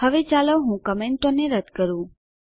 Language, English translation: Gujarati, Now, let me remove the comments